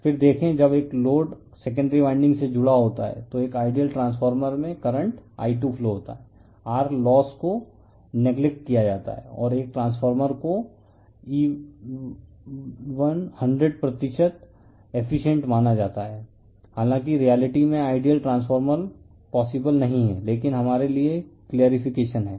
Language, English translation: Hindi, Then you see, this when a load is connected across the secondary winding a current I2 flows in an ideal transformeRLosses are neglected and a transformer is considered to bE100 percent efficient right, although the reality ideal transformer is not possible, but for the sake of our clarification